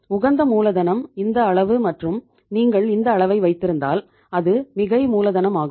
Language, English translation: Tamil, Optimally capitalized is this level and if you are keeping this level it is the over capitalized